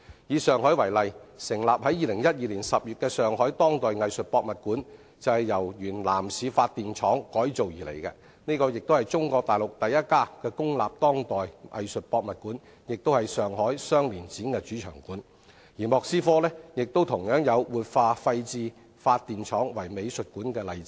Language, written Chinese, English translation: Cantonese, 以上海為例，成立於2012年10月的上海當代藝術博物館，便是由原南市發電廠改造而來，這是中國大陸第一家公立當代藝術博物館，也是上海雙年展主場館，而莫斯科亦有活化廢置發電廠為美術館的例子。, The Power Station of Art established in October 2012 was renovated from the former Nanshi Power Plant . It is Chinas first state run contemporary art museum and the Shanghai Biennale is also hosted there . There are also examples of revitalizing dilapidated power plants into arts museums in Moscow